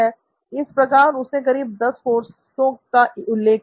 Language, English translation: Hindi, So he enumerated about 10 courses